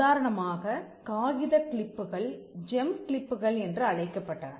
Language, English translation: Tamil, For instance; paperclips were also known as gem clips